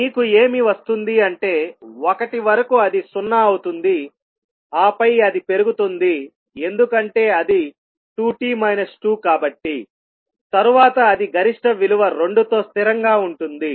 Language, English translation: Telugu, Now if you plot what you will get, you will get that up to one it is zero and then it is incrementing because it is a two t minus two then it is a constant with maximum value of two